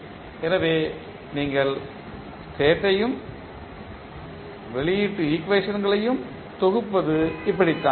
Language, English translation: Tamil, So, this is how you compile the state and the output equations